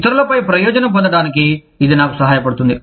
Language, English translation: Telugu, That helps me, get an advantage over the others